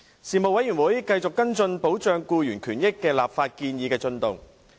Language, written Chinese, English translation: Cantonese, 事務委員會繼續跟進保障僱員權益的立法建議的進度。, The Panel continued to follow up the progress of the legislative proposals on protecting employees rights and benefits